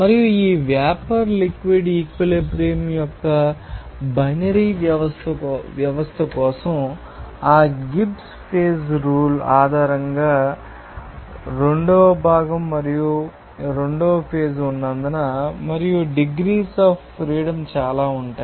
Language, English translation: Telugu, And based on that Gibbs phase rule for the binary system of this vapor liquid equilibrium, since there is component is 2 and phase is 2 and in that case, degrees of freedom will be too